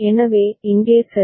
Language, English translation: Tamil, So, over here ok